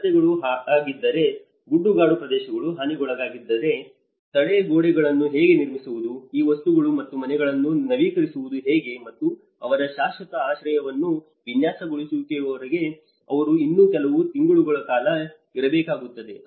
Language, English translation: Kannada, If there are roads damaged, if there are hilly terrains which were damaged, so how to build retaining walls, how to renew these things and the transition shelters and because they need to stay for some more months until their permanent shelter is designed